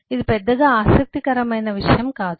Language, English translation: Telugu, this is not of much interest